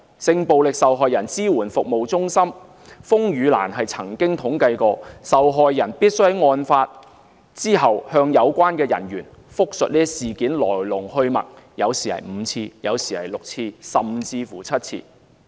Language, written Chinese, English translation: Cantonese, 性暴力受害人支援服務中心風雨蘭曾經統計，受害人需在案發後向有關人員複述事件的來龍去脈，有時是5次，有時是6次，甚至是7次。, RainLily the sexual violence victim support group has compiled some statistics concerning how many times victims need to give the detail account of their ordeals to the relevant workers . Some have to repeat the story five times others may have to repeat six or even seven times